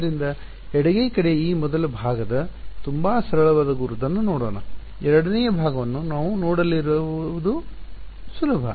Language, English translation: Kannada, So, let us let us look at a very simple identity this first part of the left hand side ok, this is what we are going to look at the second part is easy